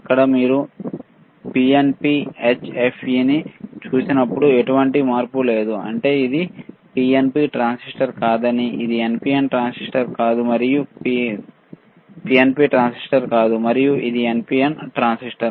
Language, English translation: Telugu, Here when you see PNP HFE there is no change right; that means, that this is not PNP transistor it is not an PNP transistor, and it is an NPN transistor